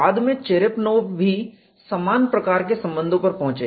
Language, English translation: Hindi, Later Cherepanov also arrived at similar relations